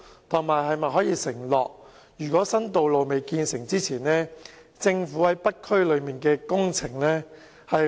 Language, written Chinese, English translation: Cantonese, 政府又能否承諾在新道路建成前，略為減慢在北區進行的工程？, Can the Government make the undertaking that works to be carried out in the North District can be slowed down a bit before the completion of new roads?